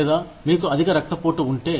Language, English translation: Telugu, Or, if you have high blood pressure